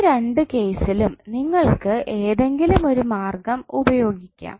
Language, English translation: Malayalam, Now in both of these cases you can use any one of the method